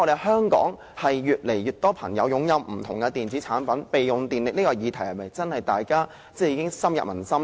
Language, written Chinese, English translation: Cantonese, 香港越來越多人擁有不同的電子產品，我不敢說備用狀態能耗的議題已深入民心。, More and more people in Hong Kong have acquired different electronic products but I dare not say that standby power consumption is already an issue pervasive among the public